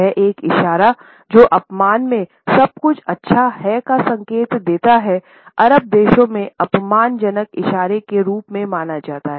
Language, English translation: Hindi, The same gesture which the Japanese used to indicate that everything is good can be treated as an insulting gesture in Arabian countries